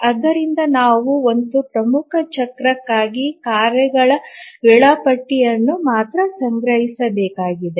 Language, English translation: Kannada, So, we need to store only the task schedule for one major cycle